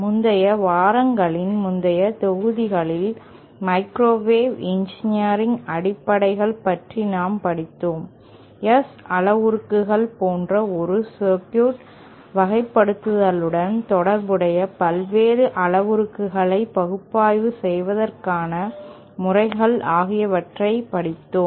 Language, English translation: Tamil, in the previous modules in the previous weeks, we had covered the basics of microwave engineering, the various parameters associated with characterising a circuit like S parameters and also the methods for analysing